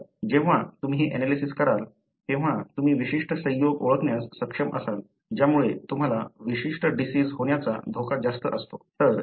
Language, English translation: Marathi, So, when you do this analysis, you will be able to identify certain combination that gives you more risk of developing a particular disease